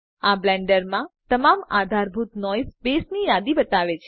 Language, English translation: Gujarati, This shows a list of all supported noise bases in Blender